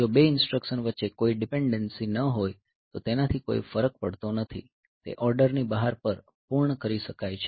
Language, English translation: Gujarati, So, if there is no dependency between the two instructions so, it does not make any difference so, they can be completed out of order also